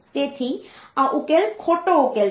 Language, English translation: Gujarati, So, this solution is incorrect solution